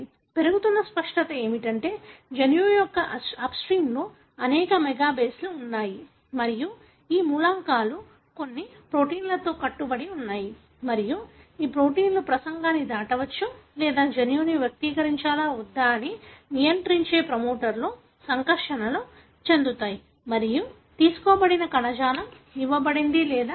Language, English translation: Telugu, What is increasingly becoming clear is that there are elements that are present, several mega bases upstream of the gene and these elements are bound by certain proteins and these proteins may cross talk or interact with the promoter which regulates whether the gene should be expressed in a given tissue or not